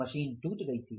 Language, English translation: Hindi, There was a machine breakdown